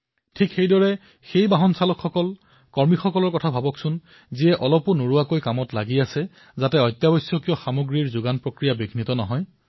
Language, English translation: Assamese, Similar to that, think about those drivers and workers, who are continuing to work ceaselessly, so that the nation's supply chain of essential goods is not disrupted